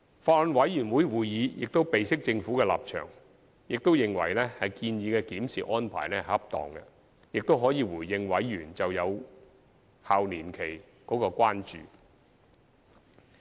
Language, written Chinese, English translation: Cantonese, 法案委員會亦備悉政府的立場，並認為建議的檢視安排恰當，可回應委員就有效期年期的關注。, Having taken note of the Governments stance the Bills Committee has considered the proposed review arrangement to be appropriate on the grounds that the concerns of Bills Committee members over the validity period can be addressed